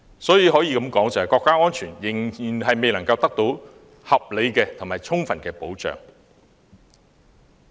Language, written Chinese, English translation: Cantonese, 所以，國家安全可說是仍未得到合理和充分保障。, Therefore our national security is not yet reasonably and adequately protected